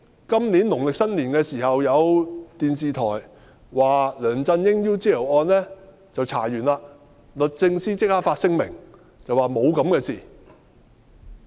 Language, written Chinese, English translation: Cantonese, 今年農曆新年期間，有電視台報道梁振英 "UGL 事件"調查完畢，律政司立即發聲明，表示沒有這回事。, During the Lunar New Year holiday this year it was reported on television that the investigation into LEUNG Chun - yings UGL incident had completed . The Department of Justice immediately issued a statement to deny the news report